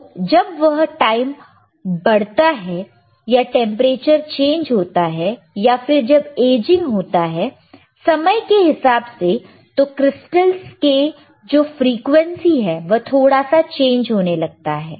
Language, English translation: Hindi, So, as the time increases, or or when did when the temperature is changed, or when it is aging by thiswith time, then the frequency of the crystals, tends to change slightly